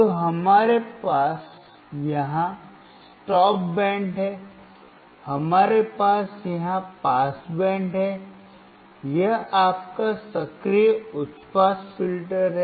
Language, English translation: Hindi, So, we have here stop band, we have here pass band; this is your active high pass filter